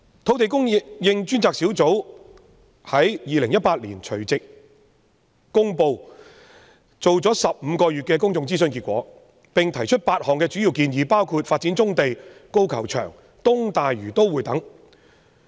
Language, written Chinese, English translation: Cantonese, "土地供應專責小組在2018年除夕公布進行了15個月的公眾諮詢結果，並提出8項主要建議，包括發展棕地、高爾夫球場和東大嶼都會等。, On the New Years Eve of 2018 the Task Force on Land Supply Task Force released the results of a 15 - month public consultation exercise and made eight key recommendations including developing brownfield sites the golf course and the East Lantau Metropolis